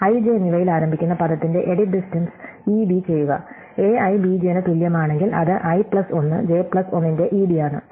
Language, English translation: Malayalam, So, ED the Edit Distance for the word starting at i and j, if a i is equal to b j it is ED of i plus 1 j plus 1